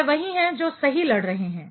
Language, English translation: Hindi, They are the one who are who are fighting right